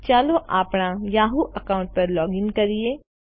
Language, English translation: Gujarati, Lets close the yahoo account